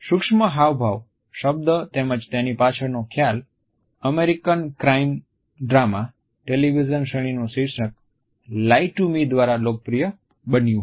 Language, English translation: Gujarati, The term micro expression as well as the idea behind them was popularized by an American crime drama television series with the title of "Lie to Me"